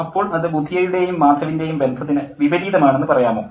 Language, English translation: Malayalam, But I consider that as a contrast to the conjugal relation between Budya and Madhav